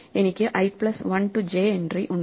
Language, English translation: Malayalam, So, I have i plus 1 to j this entry